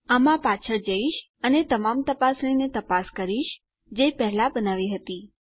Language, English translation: Gujarati, Ill just go back into this and check all our checks that we had created first